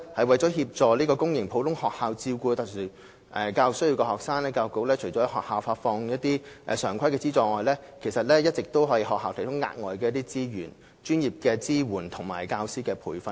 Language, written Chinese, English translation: Cantonese, 為協助公營普通學校照顧有特殊教育需要的學生，教育局除轄下發放一些常規的資助外，其實亦一直為學校提供額外資源、專業支援及教師培訓。, As a means of assisting public sector ordinary schools in taking care of SEN students the Education Bureau has actually provided such schools with additional resources professional support and teacher training all along in addition to the disbursement of regular subsidies